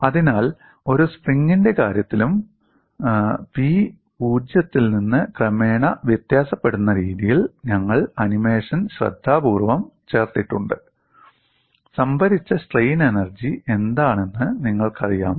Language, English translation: Malayalam, So, in the case of a spring also we have carefully put the animation in such a way that P varies from 0 gradually, and you know what is the strain energy stored